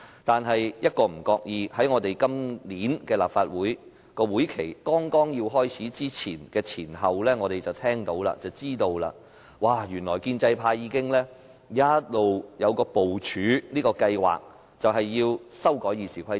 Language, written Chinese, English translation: Cantonese, 但是，一不留神，在今年立法會會期開始的前後，我們便知悉，原來建制派已經一直部署一項計劃，就是要修改《議事規則》。, However in an unguarded moment around the beginning of this session of the Legislative Council we learnt that the pro - establishment camp had been devising a plan to amend RoP